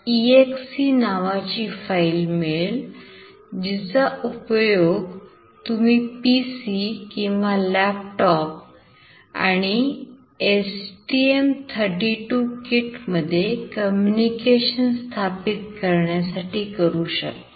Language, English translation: Marathi, exe file and this will be used for the serial communication between the PC or laptop and the STM32 kit